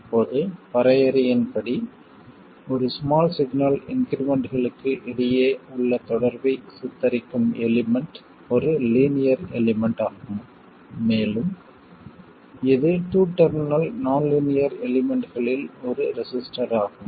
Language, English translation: Tamil, Now, by definition the element that depicts the relationship between small signal increments is a linear element and it is a resistor in case of a two terminal nonlinear element